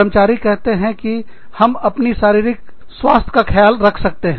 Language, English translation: Hindi, So, employees say that, we can take care of our physical health